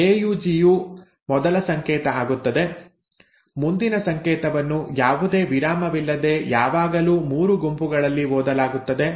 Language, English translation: Kannada, So AUG becomes the first code, the next code is always read without any break in sets of 3